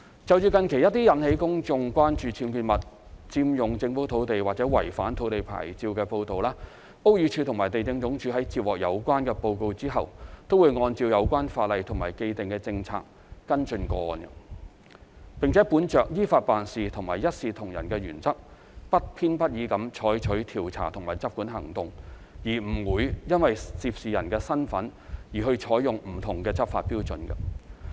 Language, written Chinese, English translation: Cantonese, 就近期一些引起公眾關注僭建物、佔用政府土地或違反土地牌照的報道，屋宇署和地政總署在接獲有關報告後，均會按照有關法例及既定政策跟進個案，並本着依法辦事和一視同仁的原則，不偏不倚地採取調查及執管行動，不會因涉事人的身份而採用不同的執法標準。, Regarding some recent reports which have caused public concern over UBWs unauthorized occupation of government land or breaches of land licences BD and LandsD have upon receipt of the reports followed up the cases according to the relevant laws and established policies . The departments have proceeded with investigations and enforcement actions impartially in accordance with the law in a fair and equitable manner without varying the enforcement standards depending on the identities of those involved